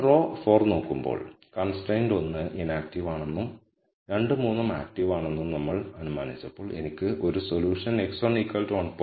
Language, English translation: Malayalam, When you look at row 4, where we have assumed constraint 1 is inactive and 2 and 3 are active, I get a solution x 1 1